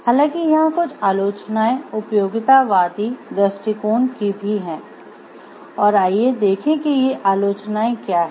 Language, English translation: Hindi, However there are certain criticisms also of utilitarianism approach and let us see what these criticisms are